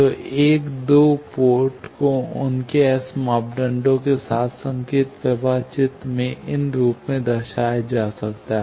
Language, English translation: Hindi, So, a two port can be represented in a signal flow graph with its S parameters as these